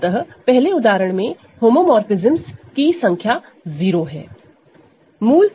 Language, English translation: Hindi, So, the number of homomorphisms is 0 in the first example